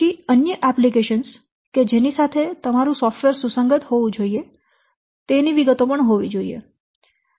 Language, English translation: Gujarati, Then other applications with which software used to be compatible